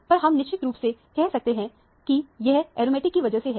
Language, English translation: Hindi, But, we are sure that, this is because of the aromatic